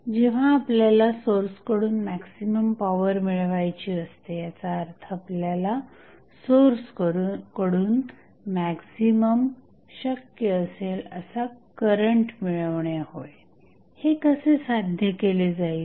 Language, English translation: Marathi, So, when you want to draw maximum power from the source means, you want to draw maximum possible current from the source how it will be achieved